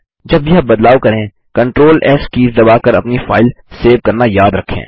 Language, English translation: Hindi, Remember to save your file by pressing CTRL+S keys together, every time you make a change